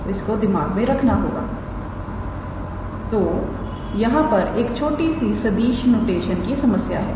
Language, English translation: Hindi, So, this we have to keep in mind; so there is a slight vector notation issue here